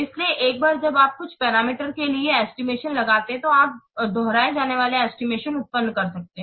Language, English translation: Hindi, So, once you estimate for some parameter, you can generate repeatable estimations